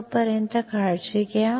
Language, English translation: Marathi, Till then, take care